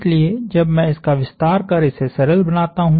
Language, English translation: Hindi, So, when I go through and simplify this